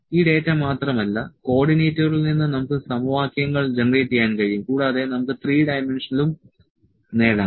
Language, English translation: Malayalam, Not only this data, the coordinates we can also generate the equations out of them also we can obtain the three dimensional